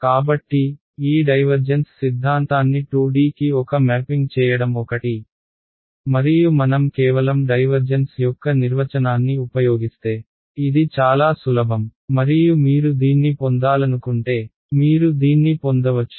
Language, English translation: Telugu, So, it is a one to one mapping of this divergence theorem to 2D ok, and this is again very simple if we just use the definition of divergence and all you will get this, if you wanted derive it ok